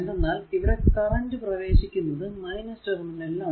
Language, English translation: Malayalam, Because it is this current entering here it is the minus terminal